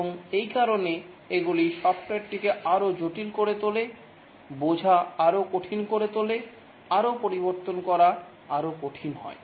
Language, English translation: Bengali, One is that the more complex is a software, the more harder it is to change